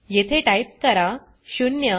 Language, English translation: Marathi, Type 0 here 1 and 2